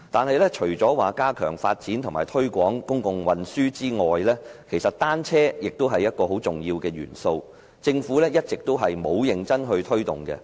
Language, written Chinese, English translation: Cantonese, 不過，除加強發展和推廣公共運輸外，單車其實也是很重要的元素，但政府一直沒有認真推動。, But apart from enhancing the development and promotion of public transport cycling is actually another integral element . But the Government has all along failed to take serious actions to promote cycling